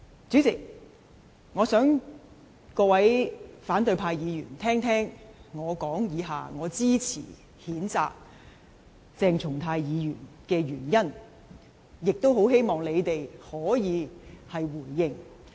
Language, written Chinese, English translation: Cantonese, 主席，我想各位反對派議員聆聽，我以下發言支持譴責鄭松泰議員的原因，亦很希望他們可以回應。, President I wish all Members of the opposition camp can listen to the following reasons I am going to give in my speech to support the censure on Dr CHENG Chung - tai and I also wish they can give responses